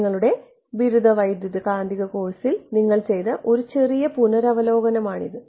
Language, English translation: Malayalam, This is a bit of a revision of what you would have done in the your undergraduate electromagnetics course